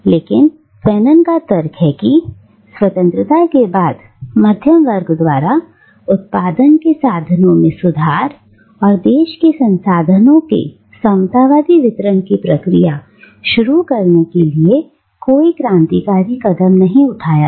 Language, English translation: Hindi, But Fanon argues that, after independence, the middle class does not take any such revolutionary steps to reform the means of production and initiate a process of egalitarian distribution of the country's resources